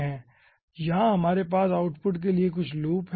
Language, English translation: Hindi, then here they are having some loops for output